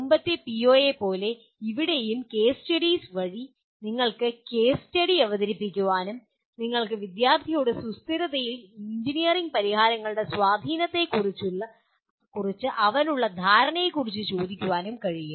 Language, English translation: Malayalam, So like the earlier PO, here also through case studies you can present the case study and ask the student to do what do you call ask his perception of the impact of engineering solutions on sustainability